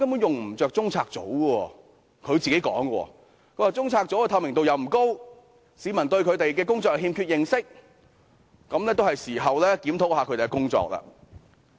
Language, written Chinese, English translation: Cantonese, 這是她親口說的，她指中策組的透明度不高，市民對他們的工作欠缺認識，是時候檢討他們的工作。, These are her own words . She remarked that the degree of transparency of CPU was not high and members of the public lacked knowledge of its work . It was time to review its work